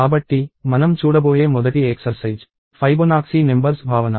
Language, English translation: Telugu, So, the first exercise that we are going to look at is the notion of Fibonacci numbers